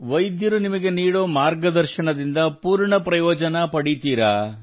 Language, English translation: Kannada, And the guidance that doctors give you, you get full benefit from it